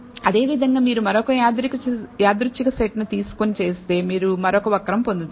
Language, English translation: Telugu, Similarly, if you take another random set and do it, you will bet another curve